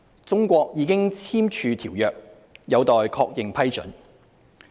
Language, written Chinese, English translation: Cantonese, 中國已簽署《馬拉喀什條約》，有待確認批准。, China is a signatory to the Marrakesh Treaty but has yet to ratify it